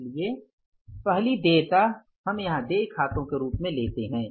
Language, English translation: Hindi, So first liability we take here as the accounts payable